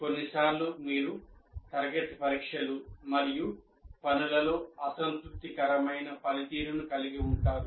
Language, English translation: Telugu, And sometimes you have unsatisfactory performance in the class tests and assignments